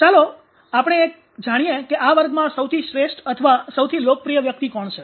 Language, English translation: Gujarati, So ah let us know about who is the best or the most popular person in this class